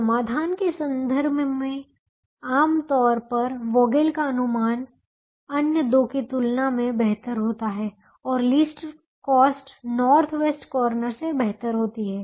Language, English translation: Hindi, in terms of solution, generally, vogel's approximation does better than the other two and minimum cost does better than the north west corner